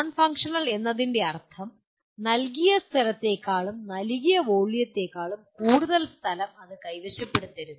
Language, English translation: Malayalam, Non functional means it should not occupy more space than you do, than given area or given volume